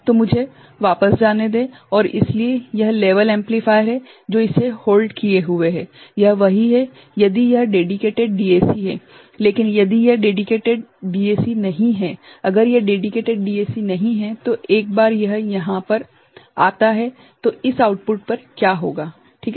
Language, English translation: Hindi, So, let me go back and so, this is the level amplifier which is holding it this is there right if it is dedicated DAC, but if it is not dedicated DAC, if it is not a dedicated DAC once it comes over your what will happen to this output ok